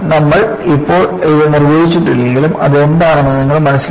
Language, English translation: Malayalam, Although, we may not define it now, you will know what it is